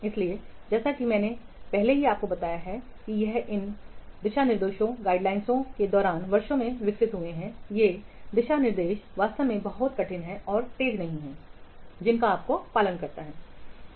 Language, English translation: Hindi, So, as I have already told you during these guidelines have evolved over the years, these guidelines are not actually very hard and fast that you must have to follow